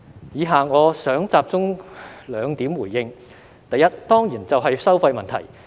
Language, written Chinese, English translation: Cantonese, 以下我想集中兩點回應：第一，當然就是收費問題。, I would like to focus my response on two points first it is about the charge of course